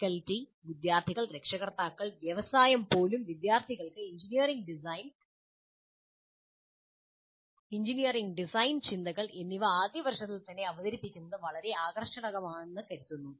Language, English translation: Malayalam, The faculty, students, parents, even the industry find it very, very attractive to have the students exposed to engineering design and engineering design thinking right in the first year